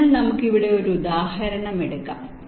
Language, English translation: Malayalam, ok, so lets take an example here